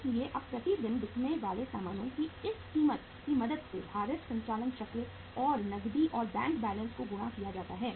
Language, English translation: Hindi, So now with the help of this cost of goods sold per day multiplied by the weighted operating cycle and cash and bank balances